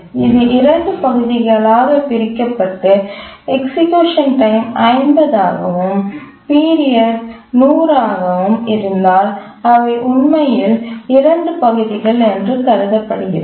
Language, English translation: Tamil, So if you want to split into two parts, and the task execution time was, let's say, 50 and period was 100, we assume that it's actually two tasks